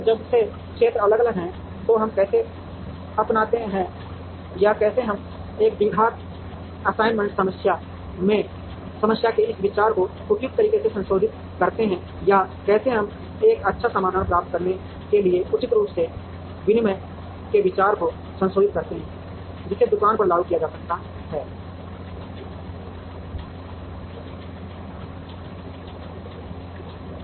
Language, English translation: Hindi, And since, if the areas are different how do we adopt or how do we modify this idea of a quadratic assignment problem suitably or how do we modify the idea of the exchange heuristic suitably to get a good solution, which can be implemented on the shop floor